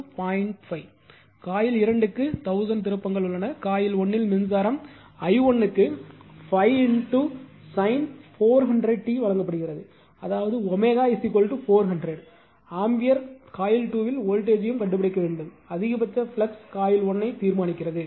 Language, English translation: Tamil, 5, coil 2 has 1000 turns, if the current in coil 1 is i 1 is given 5 sin 400 t that is omega is equal to 400 right, ampere determine the voltage at coil 2 and the maximum flux setup by coil 1